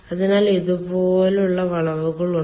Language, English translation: Malayalam, so we will have this kind of curves